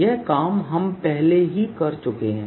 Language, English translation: Hindi, this we have worked out already